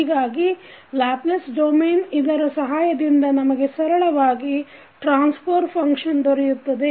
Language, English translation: Kannada, So, with the help of this in Laplace domain we can get easily the transfer function